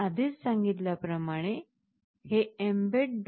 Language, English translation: Marathi, As I have already said, this mbed